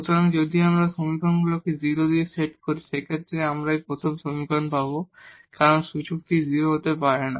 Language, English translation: Bengali, So, if we set these equations to 0, in that case we will get from this first equation because exponential cannot be 0